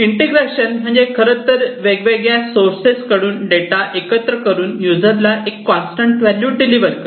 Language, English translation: Marathi, Integration is basically combining the data from various sources and delivering the users a constant data value